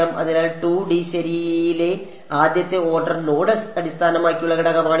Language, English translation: Malayalam, So, this is the first order node based element in 2D ok